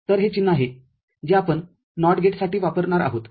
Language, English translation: Marathi, So, this is the symbol that we shall be using for NOT gate